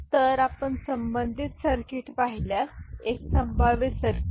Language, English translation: Marathi, So, if you look at the corresponding circuit, one possible circuit right